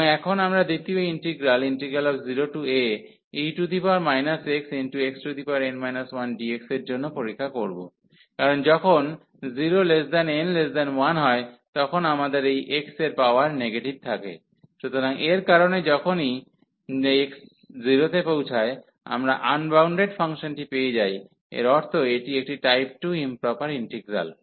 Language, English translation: Bengali, And now we will test for the second integer, because when n is between 0 and 1, we have this x power negative, so because of this when x approaches into 0, we are getting the unbounded function meaning this is a type 2 improper integral